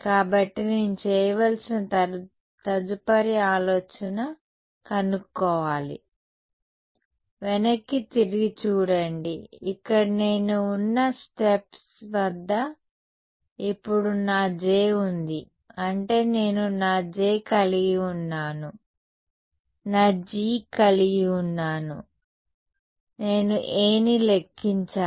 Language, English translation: Telugu, So, the next think that I have to do is find out so, look back over here at the steps I had do I have my J now; I mean I had my J, I had my G, I calculated A